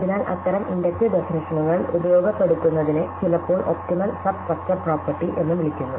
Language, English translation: Malayalam, So, what such inductive definitions exploit is what is sometimes called the optimal substructure property